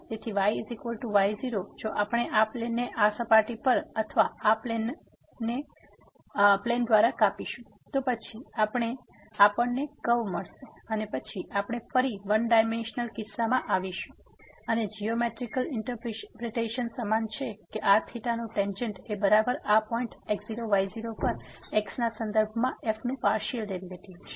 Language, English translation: Gujarati, So, is equal to naught if we cut this plane over this surface or by this plane, then we will get a curve and then we have we are again back to in one dimensional case and the geometrical interpretation is same that the tangent of this theta is equal to the partial derivative of with respect to at this point naught naught